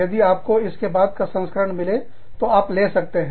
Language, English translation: Hindi, If you can find, a later edition, you can get it